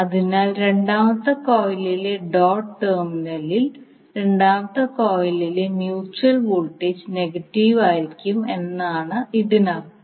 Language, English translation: Malayalam, So that means that the second coil the mutual voltage in the second coil will be negative at the doted terminal of the second coil